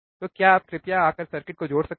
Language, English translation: Hindi, So, can you please come and connect the circuit